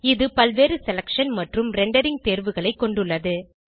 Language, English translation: Tamil, It has a variety of selection and rendering options